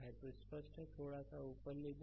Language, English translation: Hindi, So, let me clear it we move little bit up right